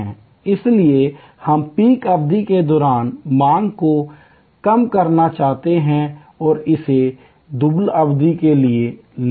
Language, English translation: Hindi, So, we want to reduce the demand during peak period and bring it to the lean period